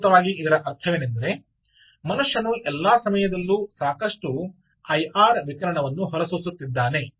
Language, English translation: Kannada, essentially it means this: that if there is a human, the human is emitting a lot of i r radiation all around all the time